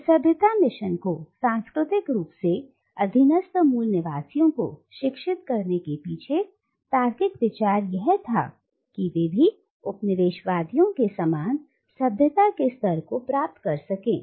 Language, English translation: Hindi, And the logic of this civilising mission was to culturally educate the subjugated natives so that they could attain the same level of civilisation as the colonisers